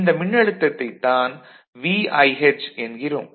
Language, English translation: Tamil, So, you we tell that particular voltage as VIH VIH ok